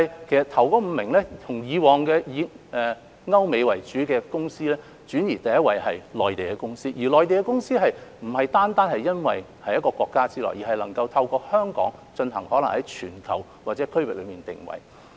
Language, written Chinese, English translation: Cantonese, 首5位已由以往以歐美公司為主，轉移到第一位是內地公司，而內地公司並不單是由於位處同一國家之內，而是能夠透過香港為其在全球或區域內作定位。, While the top five origins used to be European and American companies the first place is now taken up by the Mainland . Apart from the consideration of being in the same country another reason is because Mainland companies can position themselves globally or regionally through Hong Kong